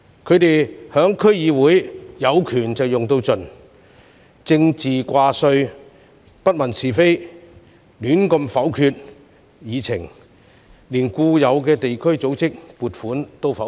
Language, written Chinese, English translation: Cantonese, 他們在區議會"有權用到盡"，政治掛帥，不問是非，胡亂否決議案，連固有地區組織的撥款也否決。, They exercised their powers to the fullest in DCs and put politics first and indiscriminately vetoed motions without considering the merits not to mention funding applications from district organizations